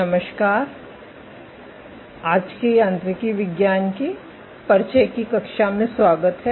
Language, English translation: Hindi, Hello, and welcome to today’s class of Introduction to Mechanobiology